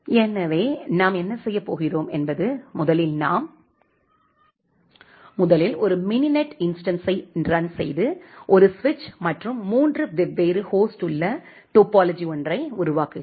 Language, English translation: Tamil, So, what we are going to do is first we, so, so, first we will run a mininet instance with we create a topology of a single switch and three different host